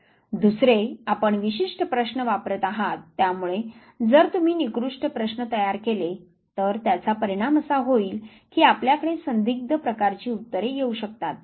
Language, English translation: Marathi, Second, because you are using certain questions therefore if you construct poor questions it might result into ambiguous type of answers